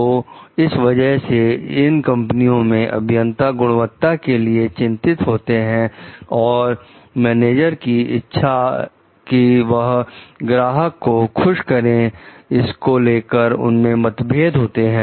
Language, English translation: Hindi, So, therefore, in these companies so in engineers quality concerns a firm may have conflicted with managers desire to please the customer